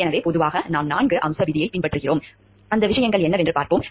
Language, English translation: Tamil, So, generally what we do we follow the four point rule, let us see what are those things